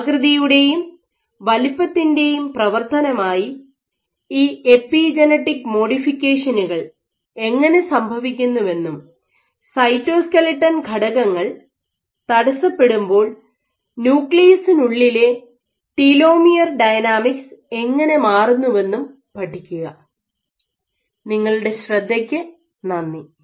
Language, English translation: Malayalam, So, both these papers make use of a geometrical pattern and then study how you have these epigenetic modifications happening as a function of shape and size, and how telomere dynamics and within the nucleus how dynamics change when you perturb this cytoskeleton elements